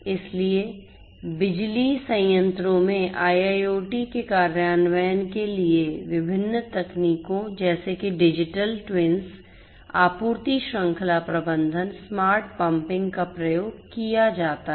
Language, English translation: Hindi, So, for IIoT implementation in the power plants different technologies such as digital twins such as supply chain management, smart pumping